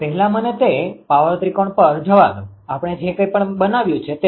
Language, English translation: Gujarati, First let me go to that power triangle right whatever we have made it